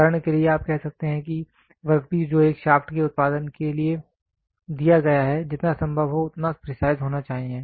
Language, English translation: Hindi, For example, you might say the work piece which is given for producing a shaft should be as precise as possible fine